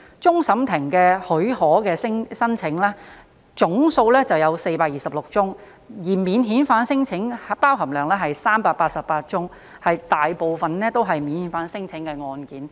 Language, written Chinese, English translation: Cantonese, 終審法院許可的申請總數為426宗，而免遣返聲請佔當中388宗，大部分都是免遣返聲請的案件。, The leave applications to CFA total 426 cases 388 of which involve non - refoulement claims . In other words most of such applications involve non - refoulement claims